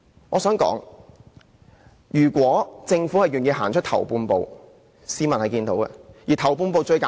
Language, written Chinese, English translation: Cantonese, 我想指出，如果政府願意走出"頭半步"，市民是會看見的。, Let me point out that if the Government is willing to take the first half - step forward the public will surely know